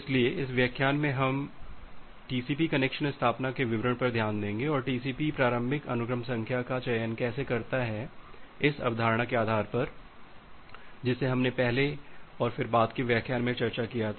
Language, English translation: Hindi, So, in this lecture we will look into the details of TCP connection establishment and how TCP chooses the initial sequence number, based on the concept that we discussed earlier and then in the subsequent lecture